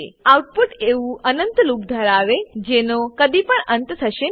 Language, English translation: Gujarati, The output will consist of an infinite loop that never ends